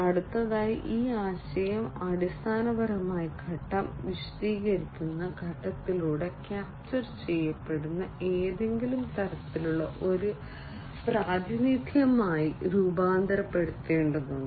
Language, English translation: Malayalam, Next is the explanation this idea has to be transformed into some kind of a representation that is basically captured through the phase explanation phase